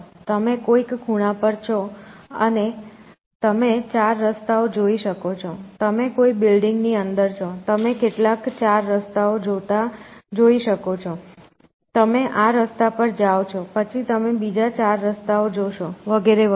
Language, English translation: Gujarati, So, you are at some corner and you can see four roads, you are inside some building, you can see some four paths going, you go to this path, then you